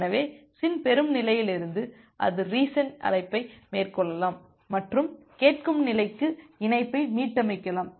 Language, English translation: Tamil, So, from the SYN receive state it can make a reset call and reset the connection to the listen state